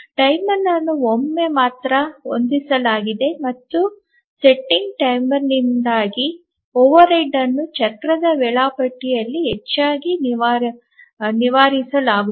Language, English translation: Kannada, Timer is set only once and the overhead due to setting timer is largely overcome in a cyclic scheduler